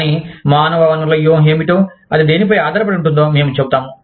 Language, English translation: Telugu, But, I will just tell you, what human resource strategy is, dependent upon